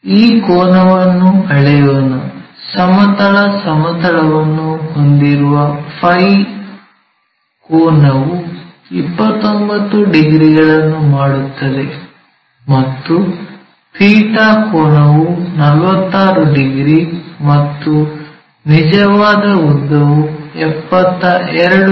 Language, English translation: Kannada, Let us measure this angle, the phi angle with horizontal it makes 29 degrees and the theta angle is 46, and true length is 72 mm, and this is also true length